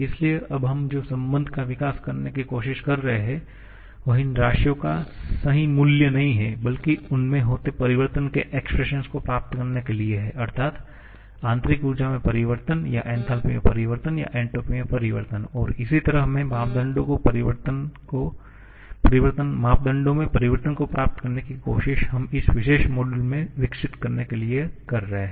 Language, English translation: Hindi, So, what we are trying to develop now is relations not to have perfect value of these quantities rather to get the expressions of the change of them that is changes in internal energy or changes in enthalpy or changes in entropy and similar parameters which we are trying to develop in this particular module